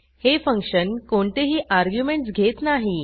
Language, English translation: Marathi, This function does not take any arguments